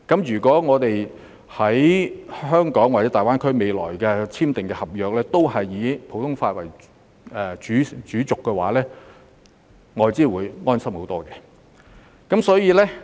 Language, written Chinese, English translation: Cantonese, 如未來在香港或大灣區內簽訂的合約都以普通法為主軸的話，外資會安心很多。, Foreign investors will be better reassured if all future contracts are signed in Hong Kong or GBA under the common law system